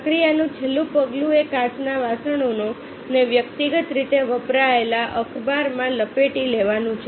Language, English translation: Gujarati, the last step of the process is to wrap the glasses individually in used newspaper and then place them in a specially designed box